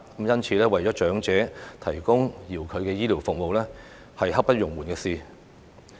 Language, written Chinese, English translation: Cantonese, 因此，為長者提供遙距的醫療服務是刻不容緩的事。, For that reason the provision of teleconsultation for elderly people brooks no delay